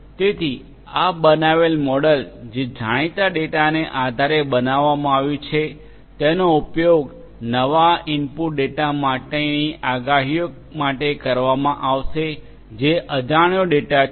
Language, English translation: Gujarati, So, this created model based the model that has been created based on the known data will be used for predictions for the new input data which is the unknown data, right